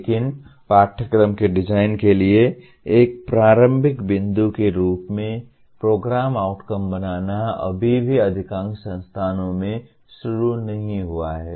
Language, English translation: Hindi, But making Program Outcomes as a starting point for curriculum design is yet to start in majority of the institutions